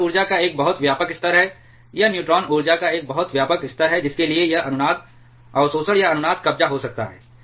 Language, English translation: Hindi, So, this is a much wider level of energy this is a much wider level of neutron energy for to for which this resonance absorption or resonance capture can take place